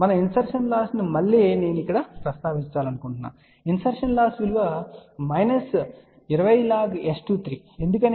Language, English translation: Telugu, Again I want to mention if we say insertion loss insertion loss is minus 20 log of 23 why